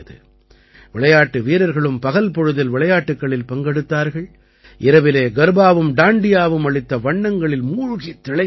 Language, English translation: Tamil, While the players also used to participate in the games during the day; in the evening they used to get immersed in the colors of Garba and Dandiya